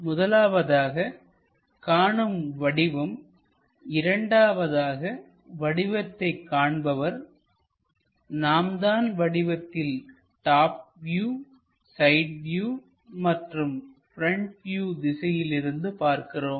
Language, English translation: Tamil, So, first one is object this is second one is observer, we are the ones who are looking at it either from top view, side view, or front view, in that direction